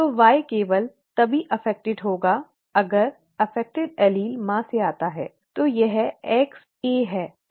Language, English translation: Hindi, So the Y will be affected only if the affected allele comes from the mother, this X small A